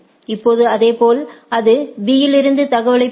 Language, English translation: Tamil, Now, similarly it will receive the information from B also